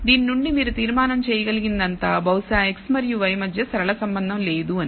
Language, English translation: Telugu, All you can conclude from this is perhaps there is no linear relationship between x and y